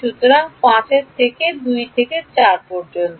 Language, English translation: Bengali, So, the direction of 5 is from 2 to 4